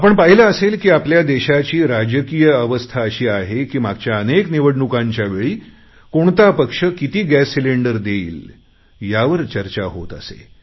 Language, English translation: Marathi, You must have seen for yourself that the political situation in our country is such that in the previous elections political parties made promises of giving each household 9 to 12 gas cylinders